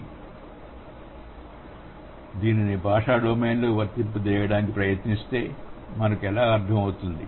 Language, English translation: Telugu, So, what does it mean if we try to apply it in the language domain